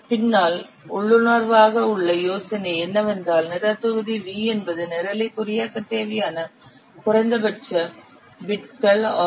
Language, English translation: Tamil, The idea behind is that intuitively the program volume V is the minimum number of bits required to encode the program